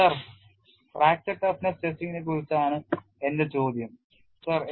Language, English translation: Malayalam, Sir my question is regarding a fracture toughness testing sir